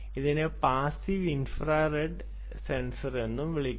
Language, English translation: Malayalam, people use it as passive infrared sensor